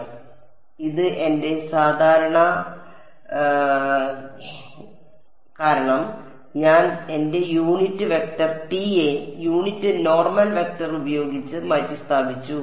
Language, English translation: Malayalam, So, this was my gamma normally why because I simply replaced my unit vector k hat by the unit normal vector n hat